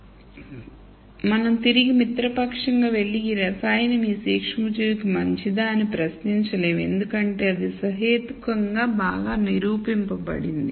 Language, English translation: Telugu, So, we cannot re ally go back and question whether this chemical is good for this microorganism because that has been demonstrated reasonably well